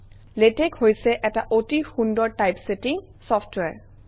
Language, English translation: Assamese, Latex is an excellent typesetting software